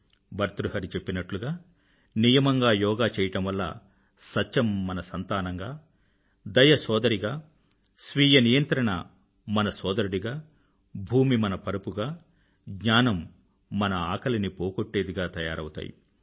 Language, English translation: Telugu, Bhartahari has said that with regular yogic exercise, truth becomes our child, mercy becomes our sister, self restraint our brother, earth turns in to our bed and knowledge satiates our hunger